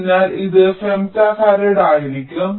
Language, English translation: Malayalam, so this will also be three femto farad